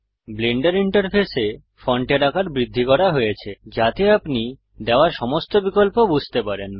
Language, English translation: Bengali, The font size in the Blender interface has been increased so that you can understand all the options given